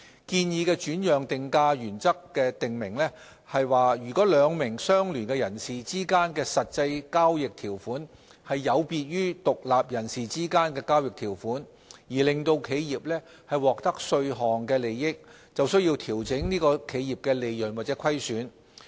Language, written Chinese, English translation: Cantonese, 建議的轉讓定價原則訂明，如果兩名相聯人士之間的實際交易條款有別於獨立人士之間的交易條款，並因而令企業獲得稅項利益，便須調整該企業的利潤或虧損。, The proposed transfer pricing principles require an adjustment of the profits or losses of an enterprise where the actual provision made between two associated persons departs from the provision which would have been made between independent persons and that has created a tax advantage